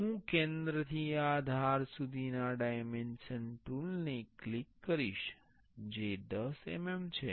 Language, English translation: Gujarati, I will click the dimension tool from the center to this edge that is 10 mm